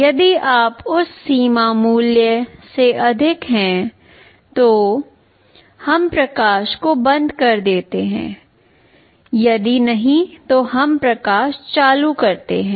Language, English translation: Hindi, If it exceeds some threshold value we turn off the light; if not, we turn on the light